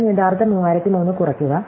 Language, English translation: Malayalam, So, I take the original 3003 subtract